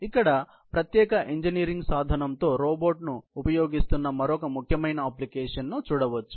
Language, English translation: Telugu, Another application here is basically, robot with special engineering tooling